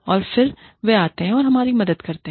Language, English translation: Hindi, And then, they come and help us